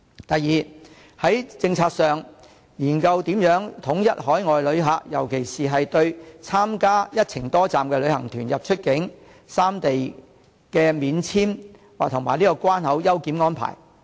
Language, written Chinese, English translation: Cantonese, 第二，在政策上研究如何統一海外旅客，尤其對參加"一程多站"的旅行團出入三地免簽證及關口優檢的安排。, Second explore how to standardize the policies on overseas visitors especially visa - free access and preferential immigration clearance for inbound or outbound visitors joining multi - destination tours to the three places